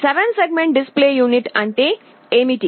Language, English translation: Telugu, What is a 7 segment display unit